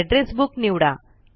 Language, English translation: Marathi, Select Address Books